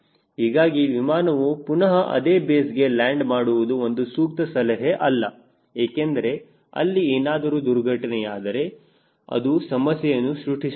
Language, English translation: Kannada, so it is not advisable that that airplane lands back to the same base, because if there is accident it may create a problem